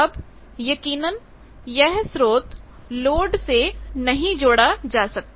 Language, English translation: Hindi, Now; obviously, source cannot connect to a load